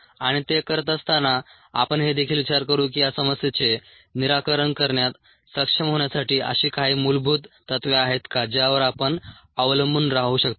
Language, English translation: Marathi, and while doing that, we will also ask: are there any basic principles that we can rely on to be able to solve this problem